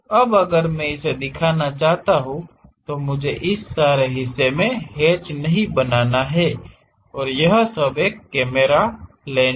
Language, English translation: Hindi, Now, if I want to really represent, I do not have to just hatch all this part and all this part is a camera lens